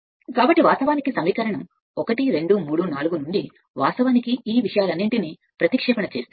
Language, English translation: Telugu, So, if you from equation 1, 2 and 3, 4 you substitute all these things